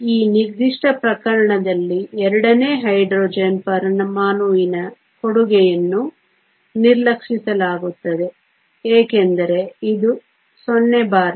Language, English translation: Kannada, So, in this particular case the contribution from the second Hydrogen atom is neglected because it is times 0